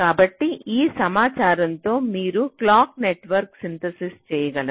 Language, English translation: Telugu, so so with that information you can proceed to synthesis the clock network